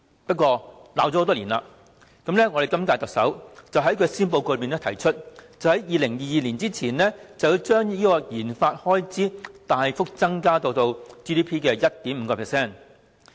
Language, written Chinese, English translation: Cantonese, 幸好，罵了多年，今屆特首終於在施政報告提出，在2022年前將研發開支大幅增至 GDP 的 1.5%。, Luckily after years of criticisms the incumbent Chief Executive finally proposed in the Policy Address that the RD expenditure would be increased significantly to 1.5 % of GDP by 2022